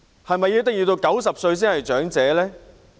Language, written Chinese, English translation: Cantonese, 是否一定要到90歲才算是長者呢？, Will one be regarded as an elderly person only if he reaches the age of 90 indeed?